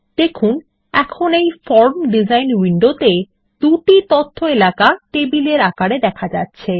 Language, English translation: Bengali, In the form design window, notice that there are two tabular data sheet areas